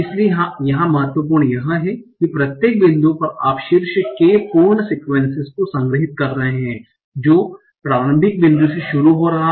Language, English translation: Hindi, So important here is that at each point you are storing top k for sequences starting from the initial point